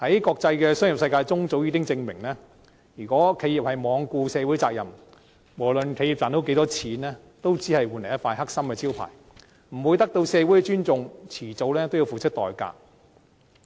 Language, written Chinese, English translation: Cantonese, 國際商業世界早已證明，如果企業罔顧社會責任，無論賺到多少錢，都只會換來一塊"黑心招牌"，不會得到社會的尊重，遲早要付出代價。, It has long been proven in the international business community that no matter how much money is made an enterprise which ignores its social responsibility will only be branded as unscrupulous and will not gain any respect in society . Sooner or later it will have to pay the price